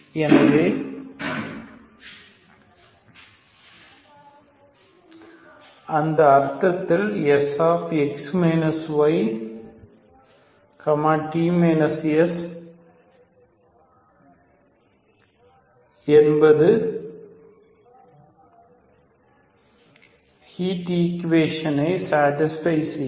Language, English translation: Tamil, So in that sense S of x minus y, t minus S is also satisfying the heat equation, okay